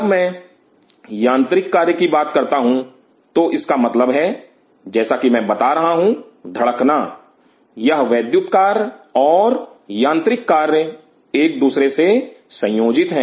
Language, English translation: Hindi, When I talk about mechanical function; that means, what I does telling is the beating and this electrical function and the mechanical functions are coupled with each other